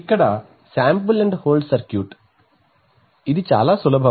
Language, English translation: Telugu, So here, is the sample and hold circuit, very simple one